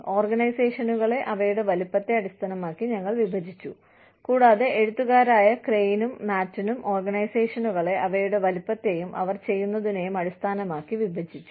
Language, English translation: Malayalam, We have divided the organizations, based on their size, and or, Crane and Matten, the authors, have divided the organizations, based on their size, and what they do